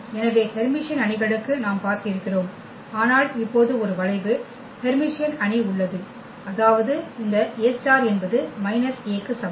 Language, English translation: Tamil, So, for Hermitian matrices we have seen, but now there is a skew Hermitian matrix; that means, this A star is equal to minus A